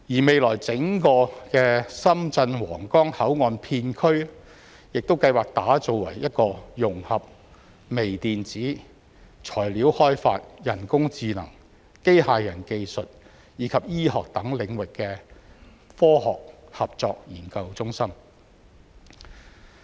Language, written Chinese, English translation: Cantonese, 未來整個深圳皇崗口岸片區亦計劃打造為一個融合微電子、材料開發、人工智能、機械人技術及醫學等領域的科學合作研究中心。, According to the planning the entire Huanggang Port area will become a science cooperation and research centre that integrates areas of microelectronics material research and development artificial intelligence robotic technologies medicine etc